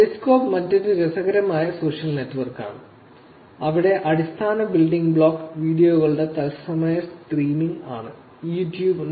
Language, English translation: Malayalam, Periscope is another interesting social network, where the basic building block is live streaming of videos